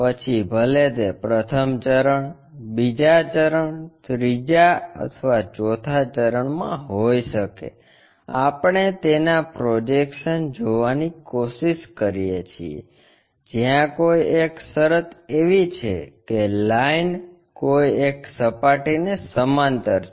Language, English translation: Gujarati, Whether, it might be in the first quadrant, second quadrant, third or fourth quadrant, we try to look at its projections where one of the condition is the line is parallel to one of the planes